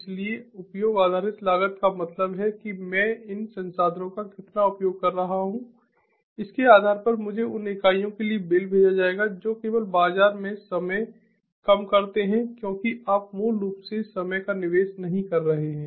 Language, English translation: Hindi, so usage based costing means you know, based on how much i am using these resources, i would, i would be billed for those units only reduce time to market because you are not basically investing time and, of course, money for procurement, for initiating the procurement, for process tendering, ah